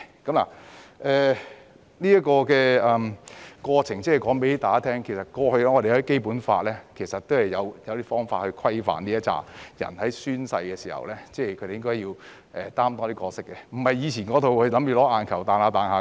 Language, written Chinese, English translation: Cantonese, 我提出上述過程是要告訴大家，過去《基本法》是有方法規範該等人士在宣誓時應該擔當的角色，而不是跳跳彈彈只為"吸引眼球"。, I mentioned the above case to tell Members that the role to be played by those people in the oath - taking process was previously governed by the Basic Law and they are not supposed to draw attention by acting in eye - catching ways